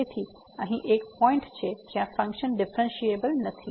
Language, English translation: Gujarati, So, there is a point here where the function is not differentiable